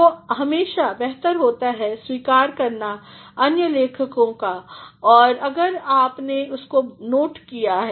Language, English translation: Hindi, So, it is always better to acknowledge other writers, if you have taken a note of that